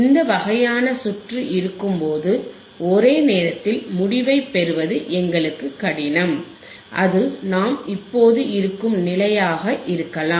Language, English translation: Tamil, When this kind of circuit is there, it will be difficult for us to get the result in one go and it may be the condition which we are infinding right now which we are in right now right